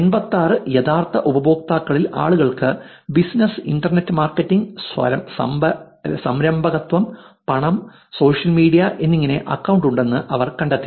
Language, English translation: Malayalam, They actually found that of 86 real users, people were like had the account as business, internet marketing, entrepreneurship, money and social media